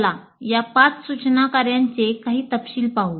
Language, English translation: Marathi, Now let us look at these five instructional activities in some detail